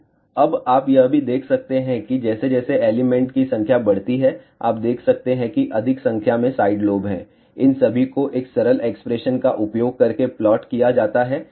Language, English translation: Hindi, So, now you can also see that as number of elements increase, you can see that there are more number of side lobes are there all these are plotted by using that one simple expression